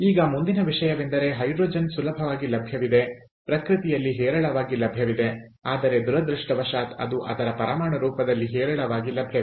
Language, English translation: Kannada, now next thing: i said that hydrogen is readily available, is is abundantly available in nature, but unfortunately it is not abundantly available in its atomic form